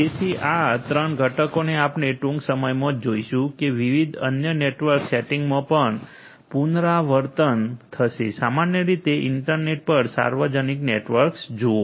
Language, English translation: Gujarati, So, these 3 components as you will notice shortly will recur in different other different other network settings as well, look at the internet the public networks in general